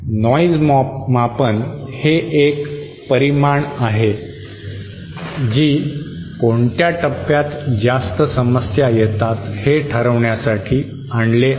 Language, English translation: Marathi, Noise measure is a quantity which is introduced because of the problems in determining which stage contributes more